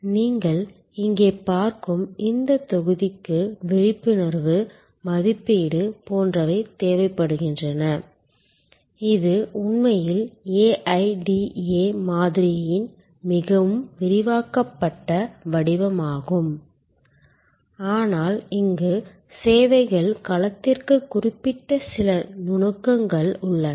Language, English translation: Tamil, This block that you see here need arousal, evaluation, etc, it is actually a more expanded format of the AIDA model, but there are some nuances here which are particular to the services domain